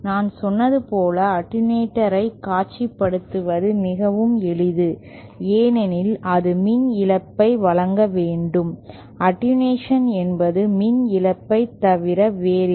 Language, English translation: Tamil, Say we have as I said an attenuator is very simple to visualize because it has to provide power loss, attenuation is nothing but power loss